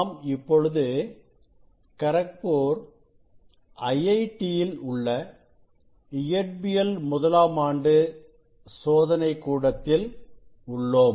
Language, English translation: Tamil, we are in first year s physics laboratory of IIT, Kharagpur